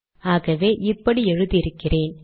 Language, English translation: Tamil, So this is what I have written here